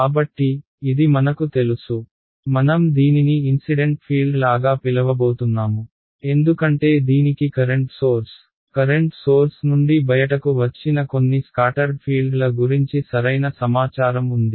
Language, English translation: Telugu, So, this is known to me I am going to call this the it like the incident field because it has information about the current source, what comes out from a current source some incident field which is going to get scattered right